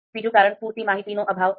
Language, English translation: Gujarati, Lack of sufficient information